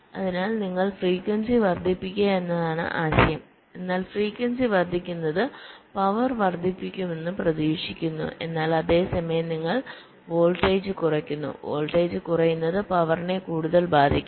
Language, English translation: Malayalam, so the idea is that you increase the frequency, but increasing frequency is expected to increase the power, but at the same time you decrease the voltage